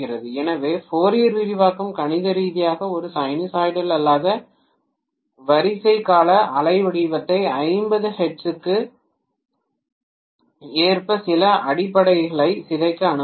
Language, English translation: Tamil, So the Fourier expansion will allow mathematically a non sinusoidal order periodic waveform to be decomposed into some fundamental which is corresponding to 50 hertz